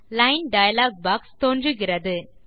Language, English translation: Tamil, The Line dialog box appears